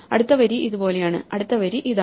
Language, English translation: Malayalam, The next row looks like this and the next row